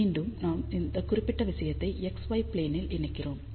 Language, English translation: Tamil, Again, now we take the projection of this particular thing on the x y plane